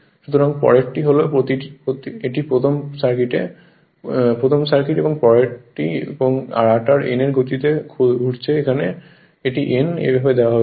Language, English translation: Bengali, Next one is and rotor is rotating with a speed of n here it is n right, here it is n it is given like this